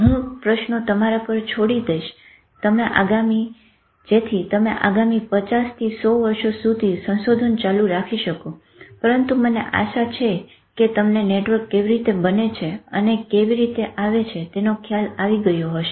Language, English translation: Gujarati, So, I will leave the questions to you so you can carry on the next 50 100 years of research and but I hope you got an idea of how networks form and so thank you